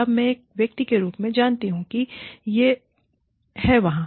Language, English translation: Hindi, Now, I as an individual, know that, this is there